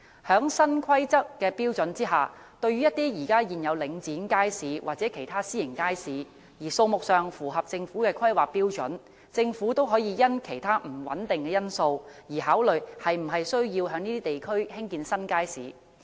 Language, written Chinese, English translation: Cantonese, 在新的《規劃標準》下，對於一些已有領展街市或其他私營街市，而數目上符合政府的《規劃標準》的地區，政府可以因其他不穩定因素而考慮是否需要在那些地區興建新街市。, Under the new HKPSG for areas that already have Link REIT markets or other private markets and the number of which conforms to HKPSG Government may consider whether it is necessary to build new markets in these areas for the factor of uncertainty